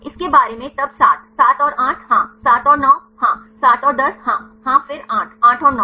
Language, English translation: Hindi, About this then 7; 7 and 8 yes, 7 and 9 yes, 7 and 10 yeah yes then 8; 8 and 9